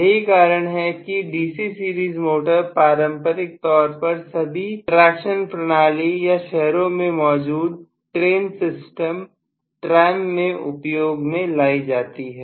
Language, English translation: Hindi, That is the reason why DC series motors have been conventionally used for all the traction systems or suburban train system, tram, car and things like that